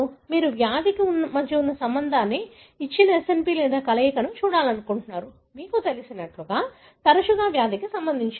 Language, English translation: Telugu, You want to look at the relationship between the disease, a given SNP or combination of the, you know, more often associated with the disease